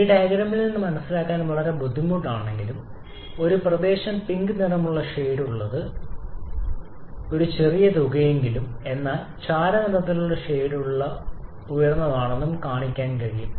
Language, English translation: Malayalam, And though it is quite difficult to understand from this diagram but it can be shown that the one shaded in pink that area is at least even maybe by a smaller amount but is still higher than the area enclosed or shaded in the grey